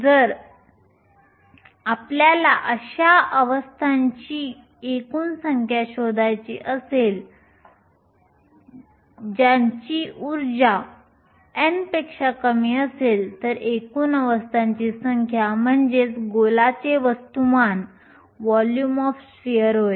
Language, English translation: Marathi, If you want to find the total number of states whose energy is less than n then the total number of states is nothing but the volume of the sphere